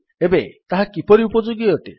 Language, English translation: Odia, Now how is that useful